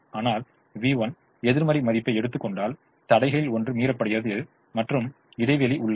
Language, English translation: Tamil, but if v one takes a negative value, one of the constraints is violated and there is a gap